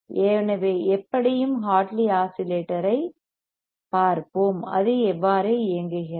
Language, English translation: Tamil, So, anyway let us see Hartley oscillator and how does it work